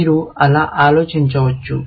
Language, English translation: Telugu, You can think of it like that